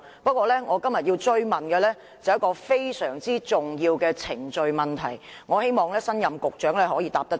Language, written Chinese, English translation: Cantonese, 不過，我今天要追問的是一個非常重要的程序問題，希望新任局長可以回答。, But what I want to pursue today is a very important question on the whole process and I hope the new Secretary can give an answer